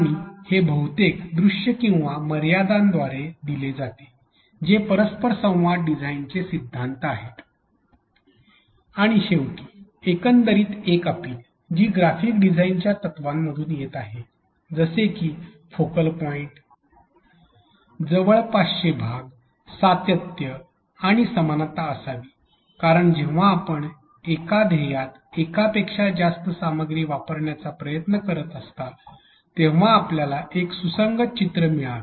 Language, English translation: Marathi, And that is given mostly through visibility or constraints which are the principles from interaction design and finally, the overall appeal which is coming from the graphic design principles such as focal point, proximity with which parts are nearer to each other and why or continuation and similarity because it should give a cohesive picture to you when you are trying to access multiple content in one goal